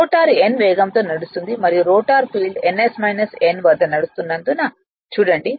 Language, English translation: Telugu, Look at that since the rotor is running at a speed n right and the rotor field at ns minus n right